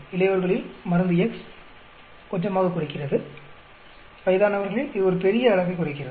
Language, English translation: Tamil, On the adult, it is lowering little bit drug X, on old people its lowering a large amount